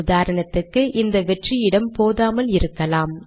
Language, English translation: Tamil, For example this space may not be large enough